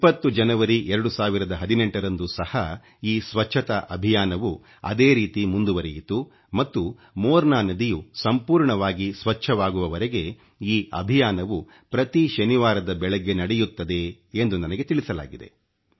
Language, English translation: Kannada, On January 20 th , 2018, this Sanitation Campaign continued in the same vein and I've been told that this campaign will continue every Saturday morning till the Morna river is completely cleaned